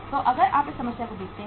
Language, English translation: Hindi, So if you see this problem here